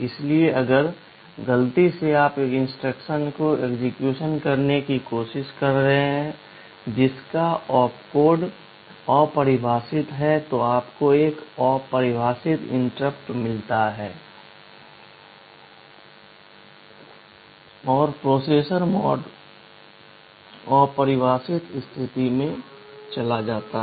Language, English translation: Hindi, So, if by mistake you are trying to execute an instruction whose opcode is undefined, you get an undefined interrupt and the processor mode goes to undefined state und